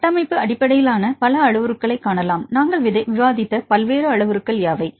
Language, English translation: Tamil, So, over all if you see the structure based parameters, what are the various parameters we discussed